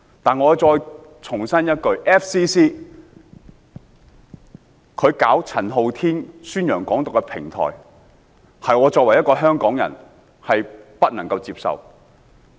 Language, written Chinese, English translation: Cantonese, 但我再重申 ，FCC 為陳浩天宣揚"港獨"提供平台，是我作為香港人所不能接受的。, However I must reiterate that the provision of a platform for Andy CHAN to advocate Hong Kong independence by FCC is something I cannot accept as a Hongkonger